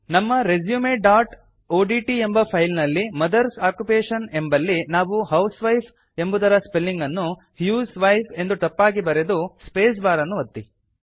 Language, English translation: Kannada, In our resume.odt file under Mothers Occupation, we shall type a wrong spelling for housewife in the sentence, as husewife and press the spacebar